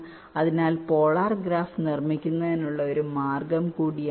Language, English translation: Malayalam, ok, so this is also one way to construct the polar graph now